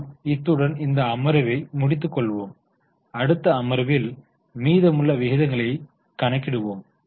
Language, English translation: Tamil, In the next session we will continue with the calculation of the remaining ratios